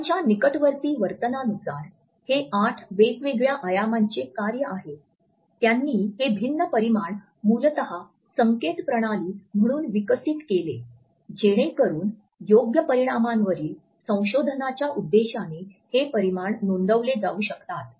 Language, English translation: Marathi, According to Hall proximate behavior is a function of eight different dimensions, he had developed these different dimensions basically as a system of notation so that these dimensions can be recorded for research purposes on appropriate scales